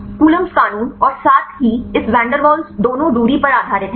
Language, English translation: Hindi, Coulombs law as well as this van der waals both are based on distance right